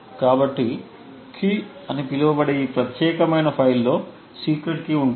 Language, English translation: Telugu, So the secret key is present in this particular file called key